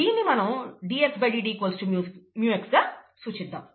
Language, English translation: Telugu, Let us write as dxdt equals mu x